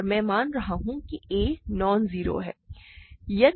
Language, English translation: Hindi, And I am assuming a is nonzero, that goes without saying, right